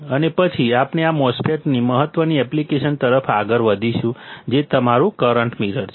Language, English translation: Gujarati, And then, we will move to the important application of this MOSFET which is your current mirror